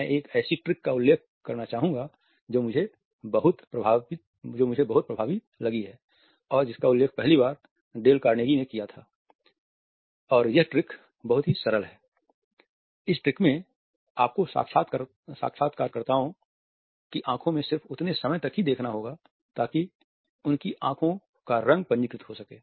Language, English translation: Hindi, I would like to mention a trick which I have found very effective it was first mentioned by dale Carnegie and the trick is very simple; that means, that you have to look at the interviewers eyes long enough to register the colour of the interviewers eyes